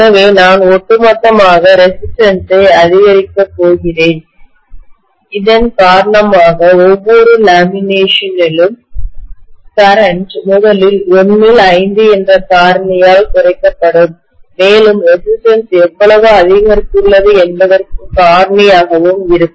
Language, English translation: Tamil, So I am going to have resistance increased overall because of which I am going to have the current in each lamination will be decreased by a factor of first of all 1 by 5 and also by a factor of how much the resistance has increased